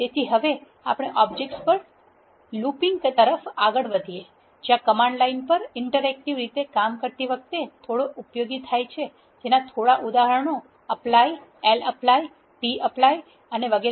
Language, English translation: Gujarati, So, now, we move on to looping over objects there are few looping functions that are pretty useful when working interactively on a command line few examples are apply, lapply, tapply and so on